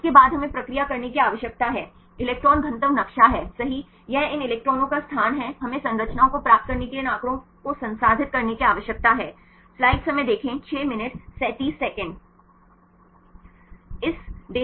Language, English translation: Hindi, Then after that we need to process, electron density map right this is location of these electrons we need to process these data to get the structures